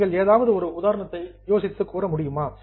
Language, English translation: Tamil, Can you think of any other example